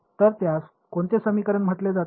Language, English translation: Marathi, So, that is also called as which equation